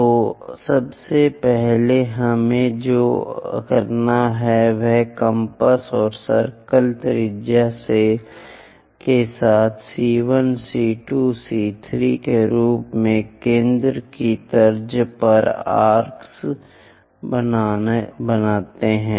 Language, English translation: Hindi, So, first of all what we have to do is with compass and circle radius make arcs on the lines with centre as C1 C2 C3 and so on